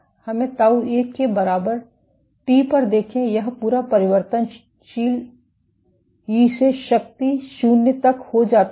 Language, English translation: Hindi, Let us see at t equal to tau 1, this entire variable becomes e to the power 0